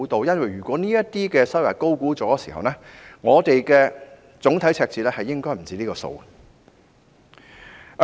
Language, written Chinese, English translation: Cantonese, 如果這些收入被高估，總體赤字應該不止上述的數目。, If these revenues have been overestimated the overall deficit should be even higher